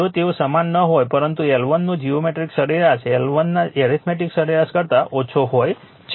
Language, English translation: Gujarati, But geometric mean of L 1 L 2 less than the arithmetic mean of L 1 L 2 if they are not equal